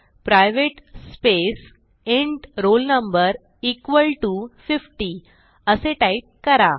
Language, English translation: Marathi, So type private int roll no=50